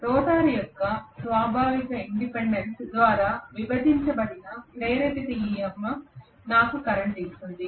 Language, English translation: Telugu, Whatever is induced EMF that divided by inherent impedance of the rotor will give me the current